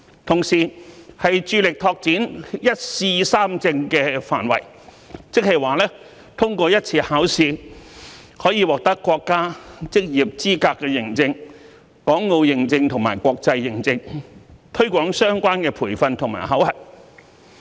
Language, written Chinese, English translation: Cantonese, 同時，致力拓展"一試三證"的範圍，即通過一次考試可以獲得國家職業資格認證、港澳認證及國際認證，推廣相關培訓和考核。, Also the SAR Government should strive to expand the application of one examination three accreditation meaning that one can obtain the professional accreditation of the nation of Hong Kong and Macao as well as the international accreditation by passing one examination so as to promote the related training and assessment